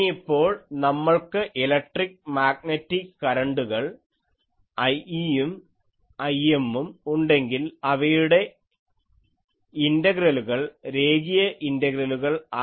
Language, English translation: Malayalam, Now, if we have electric and magnetic currents I e and I m, then the integrals will become line integrals